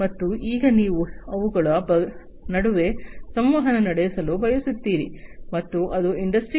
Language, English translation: Kannada, And now you want to have communication between them, and that is what is the objective of Industry 4